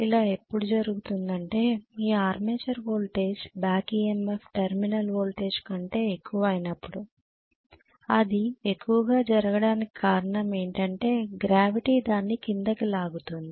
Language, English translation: Telugu, Only way it can happen is if you are armature voltage back EMF becomes higher than whatever is the terminal voltage, that has become higher probably because it is pulled down by gravity,